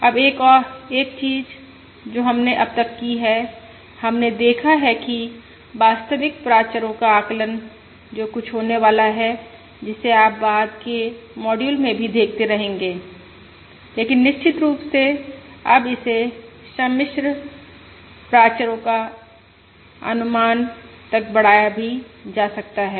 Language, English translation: Hindi, Now one thing that we have so done so far is we have looked at the estimation of real parameters, which is going to be something which you are going to keep ah looking at in the subsequent modules also, but of course now this can also be extended to the estimation of complex parameters